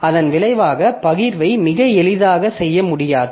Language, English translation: Tamil, So, this data splitting is not very easy